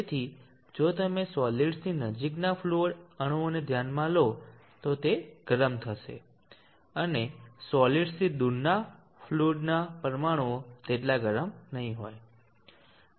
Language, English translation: Gujarati, So if you consider the fluid molecules close to this solid they will be hot, and the fluid molecules away from the solid they will not be as hot